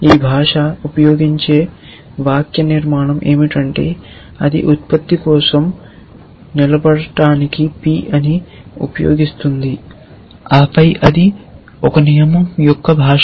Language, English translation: Telugu, The syntax that this language uses is that it uses p to stand for production then name oh so sorry that is the language of a rule